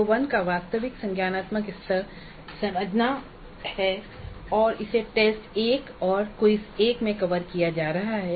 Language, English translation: Hindi, You can see CO1, the actual cognitive level of CO1 is understand and that is being covered in T1 that is test one and quiz one